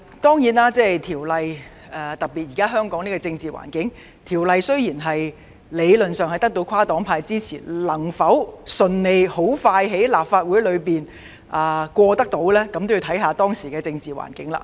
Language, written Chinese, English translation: Cantonese, 不過，在香港當前的政治環境下，雖然在理論上，《條例草案》得到跨黨派支持，但能否順利並迅速在立法會內通過，仍要視乎實際情況而定。, However given the current political environment in Hong Kong even though the Bill has gained support across different parties in theory whether it will be passed smoothly and expeditiously by the Council still depends on the actual situation